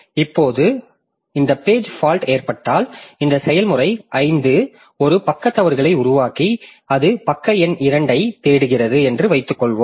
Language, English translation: Tamil, Now when this when this page fault occurs, suppose after some time this process 5 creates a page fault and it is looking for page number 2